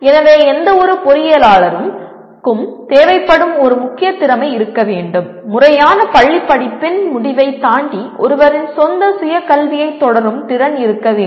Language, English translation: Tamil, So one of the key skills that is required is any engineer should be able to, should have the ability to continue one’s own self education beyond the end of formal schooling